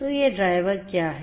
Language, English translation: Hindi, So, what are these drivers